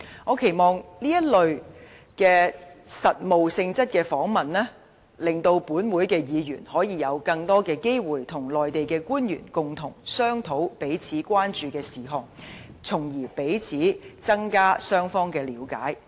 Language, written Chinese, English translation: Cantonese, 我期望通過這類實務性質的訪問，令本會議員可以有更多機會與內地官員共同商討彼此關注的事項，從而增加彼此之間的了解。, I hope that such practical business visits can provide Members of this Council with more opportunities to discuss with Mainland officials issues of mutual concern and in turn increase mutual understanding